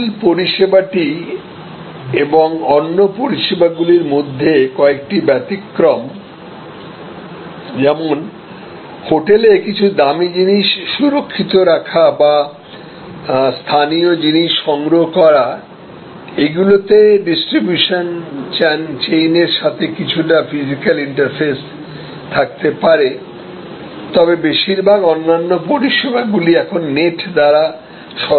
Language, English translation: Bengali, So, the core service remains few exceptions, like some safe keeping or procuring of some local material in addition to your hotel stay etc that may still have some interface with physical distribution chain, but most other service elements are now delivered through the net